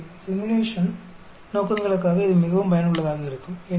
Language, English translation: Tamil, So, it is very useful for simulation purposes